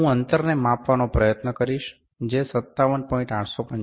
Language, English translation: Gujarati, I will try to measure the distance which was 57